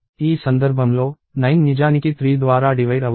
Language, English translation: Telugu, In this case, 9 is actually divisible by 3